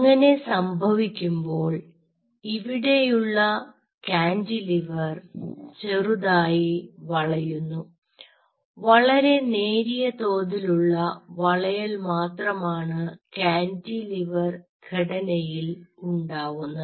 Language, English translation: Malayalam, while doing so, the cantilever out here will bend slightly, like this very slight bending which happens in the cantilever structure